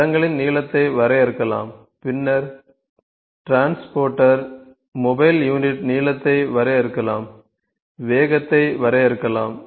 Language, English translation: Tamil, The tracks length can be defined then the transporter mobile unit length can be defined the speed can be defined